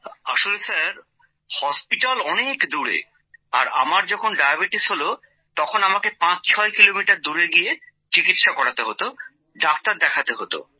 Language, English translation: Bengali, It is like this Sir, hospitals are far away and when I got diabetes, I had to travel 56 kms away to get treatment done…to consult on it